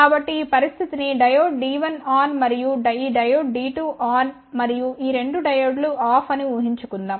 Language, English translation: Telugu, So, let's just imagine a situation where this diode D 1 is on and this diode D 2 is on and these 2 diodes are off